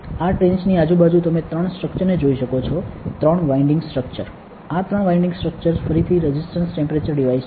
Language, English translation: Gujarati, Around this trench, you can see 3 structures right, 3 winding structures these 3 winding structures are again resistance temperature devices